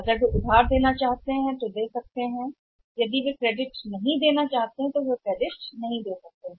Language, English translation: Hindi, If they want to give the credit they can give credit if they do not want to give the credit they may not give the credit